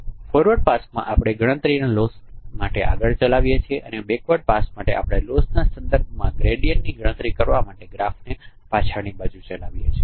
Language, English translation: Gujarati, In the forward first we run the graph forward to compute loss and the backward first we run the graph backward to compute gradients with respect to loss